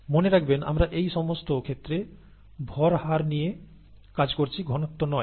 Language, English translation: Bengali, Remember, we are dealing with mass rates in all these cases, not concentrations